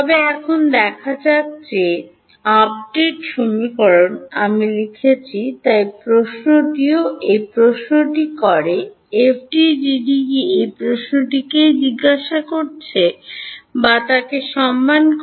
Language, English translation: Bengali, But now let us see that the update equation that I have written, so does question is this, does FDTD respect this that is the question we are asking